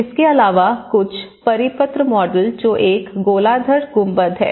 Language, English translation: Hindi, Also, some of the circular models which is a hemispherical dome